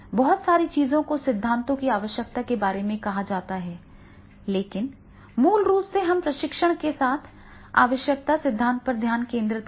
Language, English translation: Hindi, And lot of can be said on the need theories, but basically we are focusing with the need theories with the training